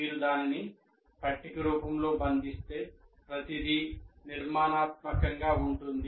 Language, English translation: Telugu, If you capture it in the form of a table, it will, everything is structured